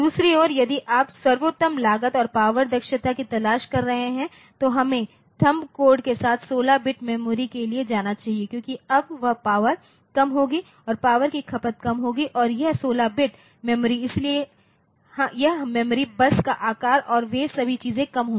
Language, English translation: Hindi, On the other hand if you are looking for best cost and power efficiency then we should go for 16 bit memory with THUMB code because, now this power will be less power consumption will be less and this 16 bit memory so, this memory bus size and all those things will be less